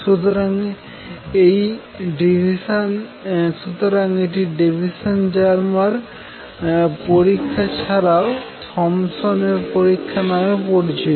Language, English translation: Bengali, So, this is what is known as Davisson Germer experiment also Thompson’s experiment